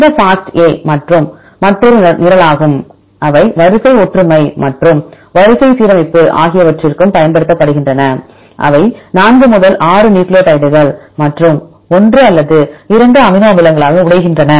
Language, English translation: Tamil, This FASTA is also another program, they also use for the sequence similarity and the sequence alignment here they breaks into 4 to 6 nucleotides and 1 or 2 amino acids